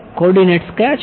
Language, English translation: Gujarati, What are the coordinates